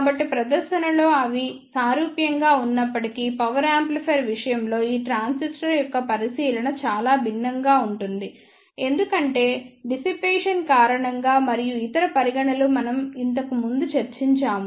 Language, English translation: Telugu, So, although in appearance they are similar, but the consideration of this transistor is quite different in case of power amplifier because of the dissipation and other considerations as we discussed earlier